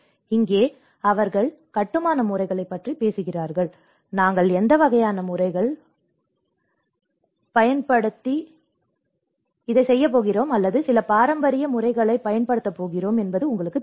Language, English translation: Tamil, And here they talk about the construction methods; you know what kind of methods, prefab methods are we going to use, or some traditional methods we are going to use